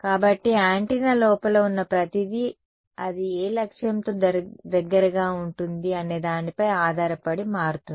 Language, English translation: Telugu, So, everything inside the antenna will change depending on what objective place it close to